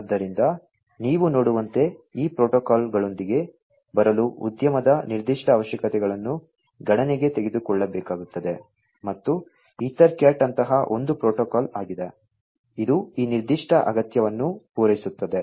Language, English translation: Kannada, So, that is the reason as you can see, industry specific requirements will have to be taken into account in order to come up with these protocols and EtherCAT is one such protocol, which cater to this particular need